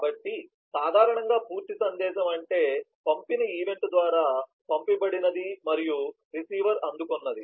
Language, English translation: Telugu, so normally a complete message would mean that one that has been sent by the send event and that has been received by the receiver